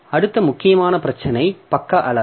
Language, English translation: Tamil, Next important issue is the page size